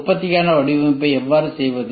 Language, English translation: Tamil, How to perform design for manufacturing